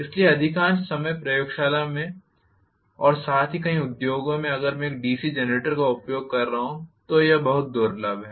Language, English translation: Hindi, So most of the times in the laboratory as well as in many of the industries if it all I am using a DC generator which is very rare again